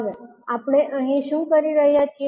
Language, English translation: Gujarati, So, what we are doing here